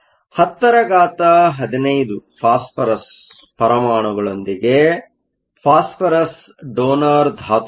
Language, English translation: Kannada, With 10 to the 15 phosphorus atoms, phosphorus is a donor